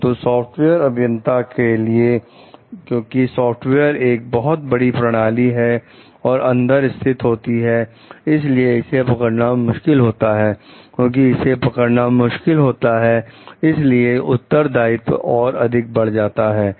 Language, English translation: Hindi, So, but for the software engineers because the softwares are embedded in a larger system like in which it functions it is difficult to detect it, because it is difficult to detect it that is why the responsibility is further critical